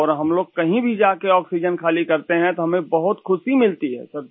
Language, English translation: Hindi, And wherever we deliver oxygen, it gives us a lot of happiness